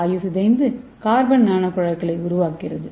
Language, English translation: Tamil, so that will make the carbon nano tubes